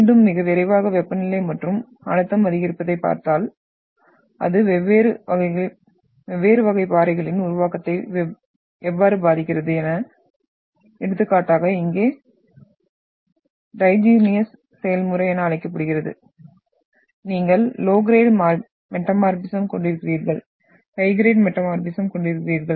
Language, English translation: Tamil, So again very quickly if we look at the increase in temperature and pressure, how it affects the formation of different type of rocks, so for example, the process here has been termed as, you are having diagenesis, you are having low grade metamorphism and you are having high grade metamorphism